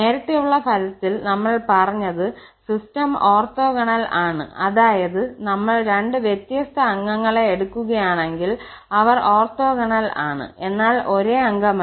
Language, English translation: Malayalam, What we have said in the earlier result that, the system is orthogonal that means any two different members if we take they are orthogonal but not the same member